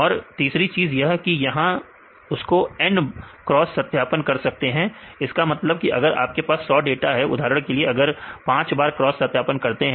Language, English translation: Hindi, And the third one you can do this N fold cross validation; that means, if you have 100 data you made into for example, if you take five fold cross validation